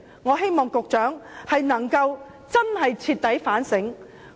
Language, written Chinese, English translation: Cantonese, 我希望局長能真正徹底反省。, I hope that the Secretary can truly thoroughly reflect on this issue